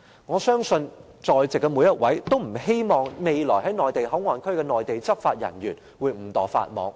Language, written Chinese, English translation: Cantonese, 我相信在席每一位也不希望未來在內地口岸區工作的內地執法人員會誤墮法網。, I believe none of the Members present wishes to see any Mainland law enforcement officer working in MPA break the law inadvertently in the future